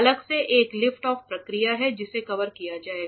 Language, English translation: Hindi, There is separately a lift off process which will which will be covered